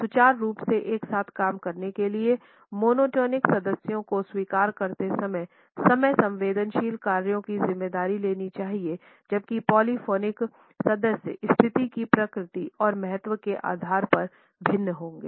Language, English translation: Hindi, In order to work together smoothly, monotonic members need to take responsibility for the time sensitive tasks while accepting the polyphonic members will vary the base on the nature and importance of a situation